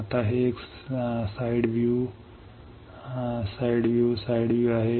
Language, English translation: Marathi, Now, this one is side view, side view, side view, side view